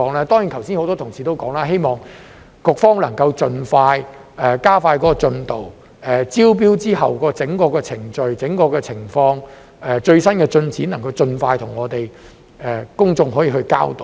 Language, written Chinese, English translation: Cantonese, 當然，剛才很多同事都提到，希望局方能盡快加快進度，就招標後的整個程序、整個情況及最新進展，盡快向我們及公眾交代。, Certainly many colleagues have mentioned earlier that they hope the Bureau will expedite the process as soon as possible and inform Members and the public of the entire process the overall situation and the latest progress upon completion of the tendering exercise